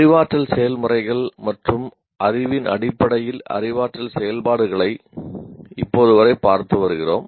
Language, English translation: Tamil, Till now, we have been looking at cognitive activities in terms of cognitive processes and knowledge